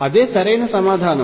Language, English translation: Telugu, That is the right answer